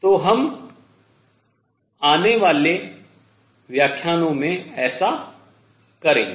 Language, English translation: Hindi, So, we will do that in coming lectures